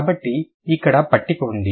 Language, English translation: Telugu, So, here is the chart